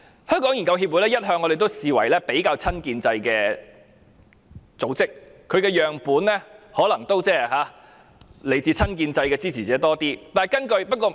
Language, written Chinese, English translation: Cantonese, 我們一向視香港研究協會為比較親建制的組織，其研究對象可能較多來自親建制支持者。, We always regard HKRA a relatively pro - establishment organization and its targets of research are mostly supporters of the pro - establishment camp